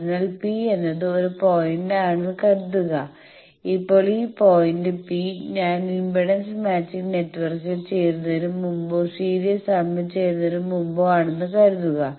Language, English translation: Malayalam, So, suppose P is a point, now this point P, suppose my point with that it is before I joined the impedance matching network or before I joined the series arm